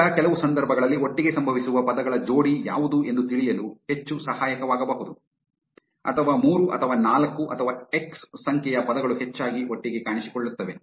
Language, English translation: Kannada, Now in some cases it might be more helpful to know what are the pair of words which are occurring together or what are say 3 or 4 or x number of words which are appearing together most frequently